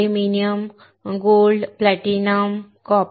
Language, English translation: Marathi, Aluminum, Gold, Platinum, Copper etc